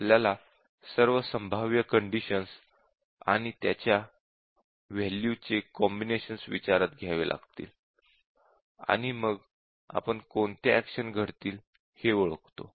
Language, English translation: Marathi, The conditions that hold so we have to consider all possible conditions and their combinations of values, and then we identify what actions would take place